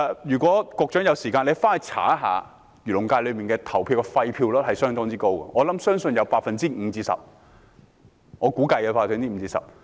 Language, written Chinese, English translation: Cantonese, 如果局長有時間，可以查看一下，漁農界的廢票率是相當高的，我估計有 5% 至 10%。, The Secretary can look into it if he has time . The percentage of invalid votes in the Agriculture and Fisheries FC is very high which I estimate to be 5 % to 10 %